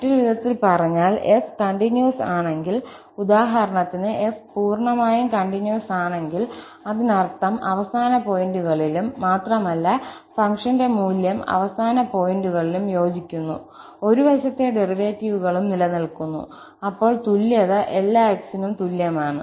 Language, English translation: Malayalam, So, in other words, if f is continuous, for instance, if f is continuous completely, that means at the end point also and the value of the function matches at the end points also and one sided derivatives exist, then, in that case, above equality holds for all x